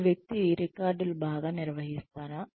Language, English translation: Telugu, Does this person, maintain records